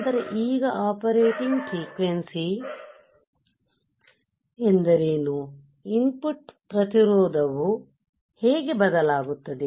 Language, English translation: Kannada, Then we have now what is the operating frequency, how the input resistance would change